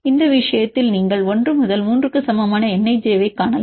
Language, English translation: Tamil, In this case you can see n ij this equal to 1 to 3 you can find it